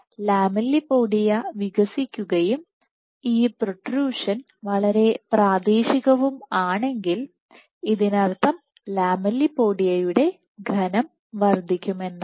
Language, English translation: Malayalam, If the lamellipodia is expanding and if this protrusion is very local this would mean that the lamellipodial thickness will increase